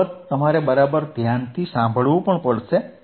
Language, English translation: Gujarati, oOff course you have to listen right